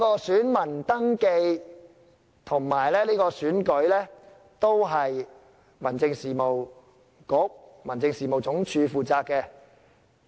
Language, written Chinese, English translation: Cantonese, 選民登記和選舉本身都是由民政事務局和民政事務總署負責。, Voter registration and the conduct of the election per se are the responsibilities of the Home Affairs Bureau and the Home Affairs Department HAD